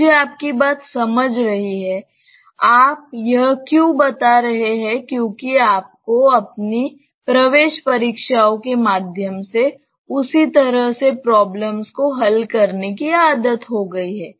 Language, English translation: Hindi, I am getting your point; why you are telling this because you have been habituated in solving problems in that way through your entrance exams